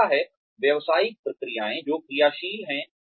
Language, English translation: Hindi, The second is business processes, which are operational